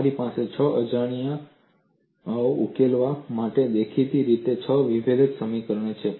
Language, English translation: Gujarati, You obviously have six differential equations to solve for six unknowns